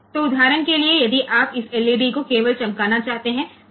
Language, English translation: Hindi, So, for example, if you want to glow say this LED only